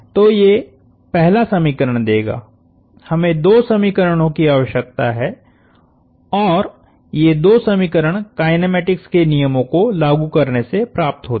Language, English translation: Hindi, So, the first equation, we need two more equations, let us and these two equations come from applying the laws of kinematics